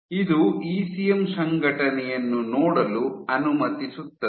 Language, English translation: Kannada, So, this allows to look at ECM organization